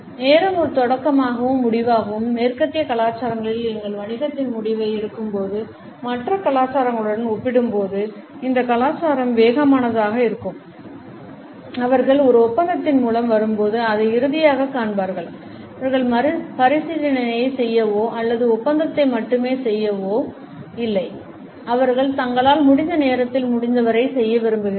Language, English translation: Tamil, Time as a beginning and an end, this culture is fast paced compared to other cultures when western cultures make a decision of our business they will see it as final when they come through an agreement and so, they do not have to rethink or just of the agreement; they wants to do as much as possible in the time they have